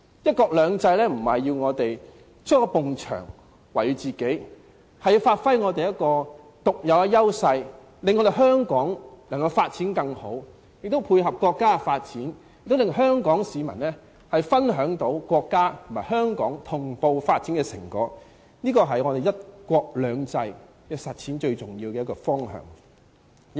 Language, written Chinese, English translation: Cantonese, "一國兩制"並非要我們築起一道牆圍繞自己，而是要發揮我們的獨有優勢，令香港有更好的發展，並且配合國家的發展，令香港市民可以分享國家和香港同步發展的成果，這是實踐"一國兩制"最重要的方向。, It encourages us to give full play of our unique edges so that Hong Kong can have a better development itself and tie in with the development of the State at the same time . Hong Kong people can thus share the fruit of synchronized development of the State and Hong Kong . This is the most important direction in implementing one country and two systems